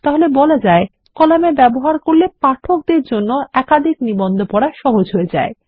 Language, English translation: Bengali, So you see columns make it easier for the reader to go through multiple articles